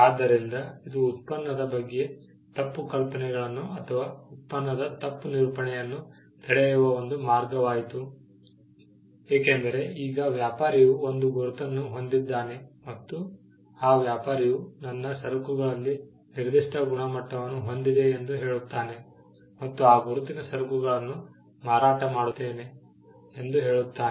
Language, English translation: Kannada, So, it became a way in which, misconceptions about the product or misrepresentations of the product was prevented because, now the trader had a mark and the trader would tell that my goods come with a particular quality and this mark identifies the goods that I am selling